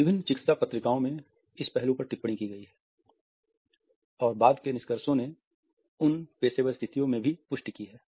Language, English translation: Hindi, In various medical journals this aspect has been commented on and later findings have corroborated them in professional situations also